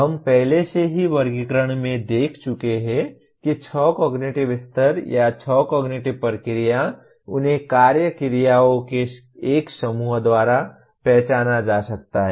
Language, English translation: Hindi, We have already seen in the taxonomy that the six cognitive levels or six cognitive process they can be identified by a set of action verbs